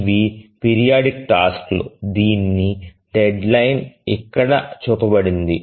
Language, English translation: Telugu, So, these are the periodic tasks which are deadline